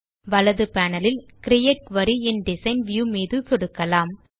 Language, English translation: Tamil, On the right panel, we will click on the Create Query in Design view